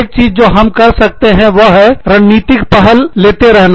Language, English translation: Hindi, One thing, that we can do is, taking a strategic initiative